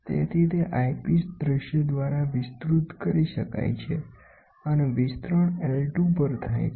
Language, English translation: Gujarati, So, that it can be enlarged by the eyepiece view through the eyepiece and enlargement happens at I 2